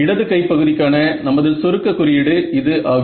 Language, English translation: Tamil, So, this is our shorthand notation for the left hand side